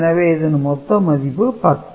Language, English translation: Tamil, So, the number is more than 9